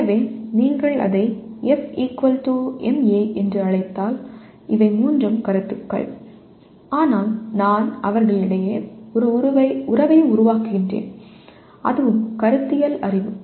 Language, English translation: Tamil, So if you call it F = ma all the three are concepts but I am creating a relationship among them and that is also conceptual knowledge